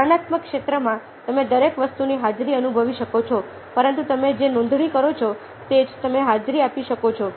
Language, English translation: Gujarati, in the perceptual field, you can feel the presence of everything, but it is only what you attend to, is what you register